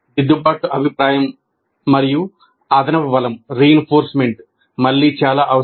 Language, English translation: Telugu, And corrective feedback and reinforcement are again very essential